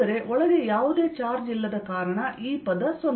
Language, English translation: Kannada, but since there's no charge inside, this fellow is zero